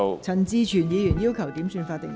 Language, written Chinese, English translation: Cantonese, 陳志全議員要求點算法定人數。, Mr CHAN Chi - chuen has requested a headcount